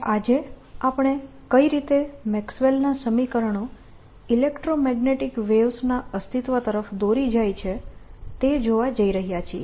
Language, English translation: Gujarati, will be talking about maxwell equations, and what we going to do today is talk about how maxwell's equations lead to existence of electromagnetic wave